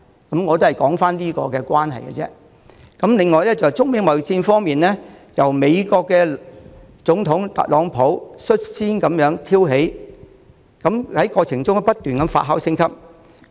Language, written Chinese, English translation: Cantonese, 中美貿易戰方面，這場貿易戰是美國總統特朗普率先挑起，過程中，情況不斷發酵升級。, As regards the China - United States trade war started by the American President Donald TRUMP this trade war has been ever - escalating along the way